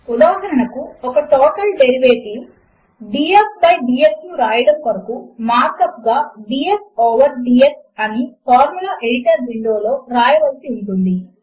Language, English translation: Telugu, For example, to write a total derivative, df by dx, the mark up is df over dx in the Formula Editor Window